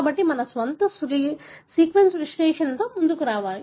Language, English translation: Telugu, So, we need to come up with our own, sequence analysis